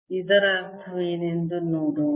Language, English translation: Kannada, let us see that what it means